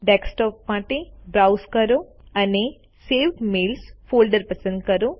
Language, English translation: Gujarati, Browse for Desktop and select the folder Saved Mails.Click Save